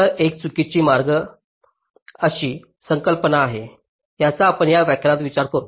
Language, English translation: Marathi, so there is a concept called false path that we shall be particularly considering in this lecture